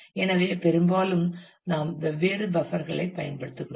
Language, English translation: Tamil, So, often we make use of different buffers